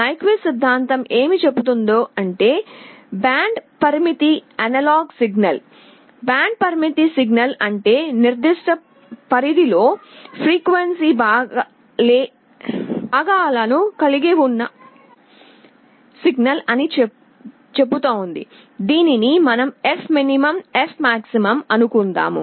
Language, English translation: Telugu, What Nyquist theorem says is that for a band limited analog signal, band limited signal means a signal that has frequency components within a range, let us say fmin to fmax